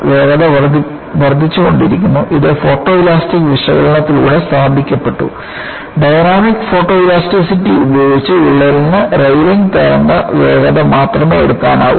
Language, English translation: Malayalam, The speed was increasing and it has been established by photoelastic analysis; using, Dynamic photoelasticity that the crack can take only the Rayleigh wave speed